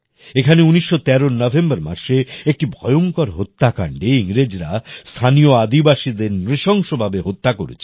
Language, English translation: Bengali, There was a terrible massacre here in November 1913, in which the British brutally murdered the local tribals